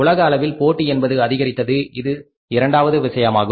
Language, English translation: Tamil, Second thing is an increased global competition